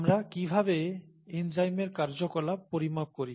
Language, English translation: Bengali, How do we quantify the activity of the enzyme, okay